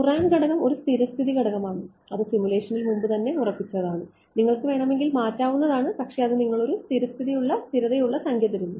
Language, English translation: Malayalam, The Courant parameter is a default parameter that is already fixed in the simulation you can change it if you want, but the they give you a default which will be a stable number